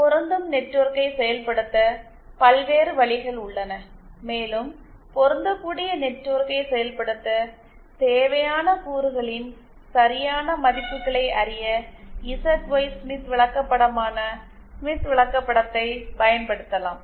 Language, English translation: Tamil, There are various ways of implementing a matching network and we can use the Smith chart that is the ZY Smith chart to know the correct values of the elements that are required for implementing a matching network